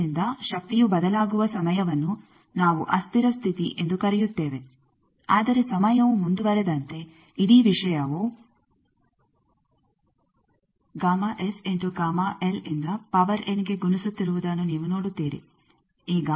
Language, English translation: Kannada, So, the time when power is varies that we call transient state, but as time progresses; you see that the whole thing is getting multiplied by gamma S gamma L to the power n